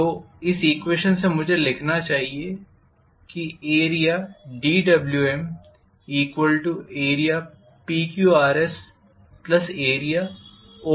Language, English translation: Hindi, So from this equation I should be able to write dWm equal to area PQRS plus area OPR